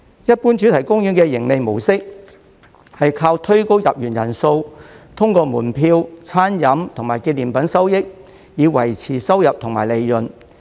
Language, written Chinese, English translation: Cantonese, 一般主題公園的盈利模式是靠推高入園人數，通過門票、餐飲和紀念品收益，以維持收入及利潤。, In general the profit - making model of theme parks is to drive up the number of visitors and then maintain revenue and profitability through proceeds from ticket food and beverage and souvenir sales